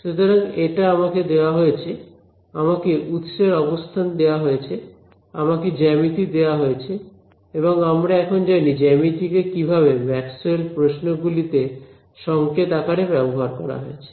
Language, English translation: Bengali, So, this is what is given to me, I am given the position of the sources, I am given the geometry and my geometry by now we know what do we mean by geometry into what is geometry encoded in Maxwell questions